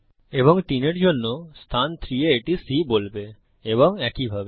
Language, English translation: Bengali, And for three, it will say C is in position 3, and so on